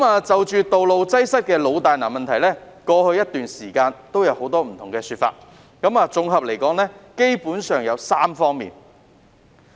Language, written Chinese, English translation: Cantonese, 就道路擠塞的老大難問題，過去一段時間也有不同的說法，綜合而言基本上有3方面。, Regarding the perennial problem of traffic congestion there have been different views over a period of time and they can be summarized in three aspects